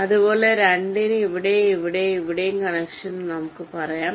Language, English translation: Malayalam, similarly, for two, we can have a, say, line here and here and connection here